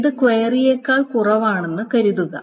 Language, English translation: Malayalam, Suppose it is a less than query